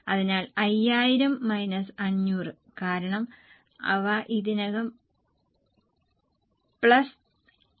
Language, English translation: Malayalam, So, 5,000 minus 500 because they are already ready plus 1,000